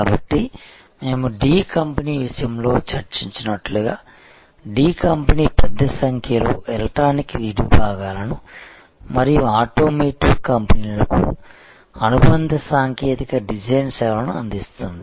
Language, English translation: Telugu, So, as we discussed in case of D company the D company provides large number of electronic parts and associated technical design services to automotive companies